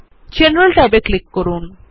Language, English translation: Bengali, Click on the General tab